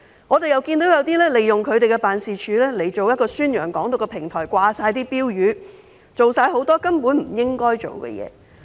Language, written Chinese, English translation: Cantonese, 我們又看到有些人利用自己的辦事處作為宣揚"港獨"的平台，掛滿標語，做了很多根本不應做的事。, Many people thus have nowhere to lodge their complaints . We also noticed that some of them have used their offices as a platform to promote Hong Kong independence by hanging banners all over their offices . They should not have done all these things